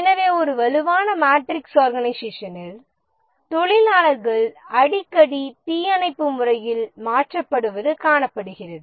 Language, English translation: Tamil, So it is observed that in a strong matrix organization there is a frequent shifting of workers in a firefighting mode